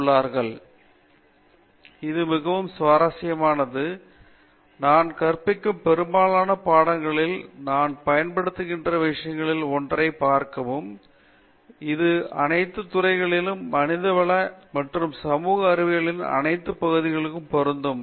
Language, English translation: Tamil, Very interesting, see one of the things that I use in most of the courses that I teach and it applies to all disciplines and all areas of humanities and social sciences